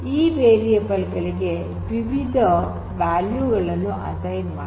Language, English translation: Kannada, So, these variables they could be assigned different values